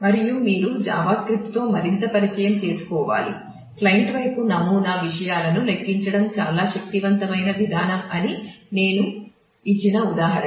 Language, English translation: Telugu, And it is you should familiarize yourself with Java script more; it is a very powerful mechanism to do compute the sample things at the client side this is an example that I have given